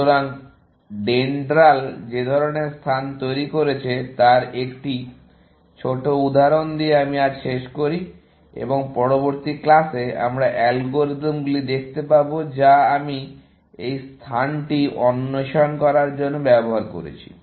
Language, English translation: Bengali, So, let me just end with a small example of the kind of space that DENDRAL generated, and in the next class, we will see the algorithms, which I used to explore this space